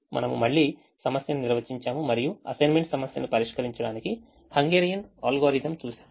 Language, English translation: Telugu, we again define the problem and we saw the hungarian algorithm to solve the assignment problem